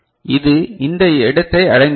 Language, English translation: Tamil, So, it has reached this place right